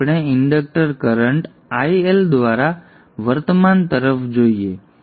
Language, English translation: Gujarati, Let us look at the current through the inductor, IL